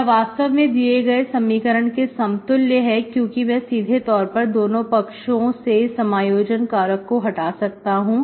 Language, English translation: Hindi, This, this is actually equivalent to the given equation because I could simply cancel both sides this integrating factor